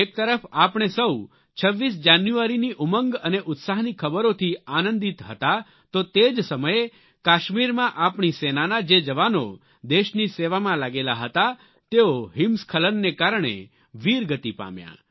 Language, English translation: Gujarati, While we were all delighted with the tidings of enthusiasm and celebration of 26th January, at the same time, some of our army Jawans posted in Kashmir for the defense of the country, achieved martyrdom due to the avalanche